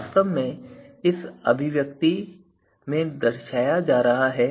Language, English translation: Hindi, So, this is exactly is being represented in this expression